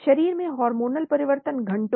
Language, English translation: Hindi, Hormonal changes at the body hours